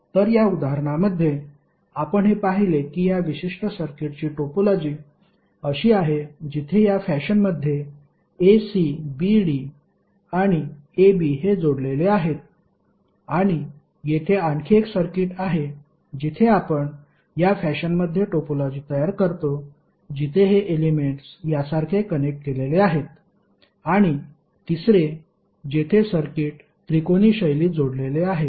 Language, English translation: Marathi, So in this example if you see this the topology of one particular circuit is like this where a, c, b, d and a b are connected in this fashion and there is another circuit where you create the topology in this fashion where these elements are connected like this and third one where the circuits are connected in a triangular fashion